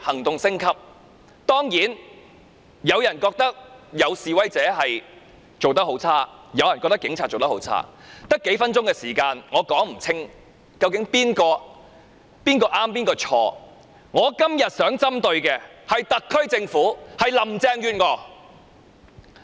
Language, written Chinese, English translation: Cantonese, 當然，有人認為示威者的行為差劣，也有人認為警察的行為差劣，我只有數分鐘發言時間，無法說清誰是誰非，所以我今天只想針對特區政府和林鄭月娥。, Of course while some consider that protesters have behaved badly some consider the Polices actions unacceptable . As I can only speak for a few minutes it is hard for me to clearly explain who are in the right and who are in the wrong . Hence I will only focus my speech on the SAR Government and Carrie LAM